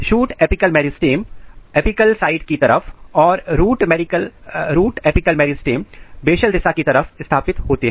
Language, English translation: Hindi, Shoot apical meristems are positioned at the apical side and root apical meristems are positioned at the basal side